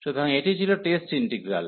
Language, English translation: Bengali, So, this was the test integral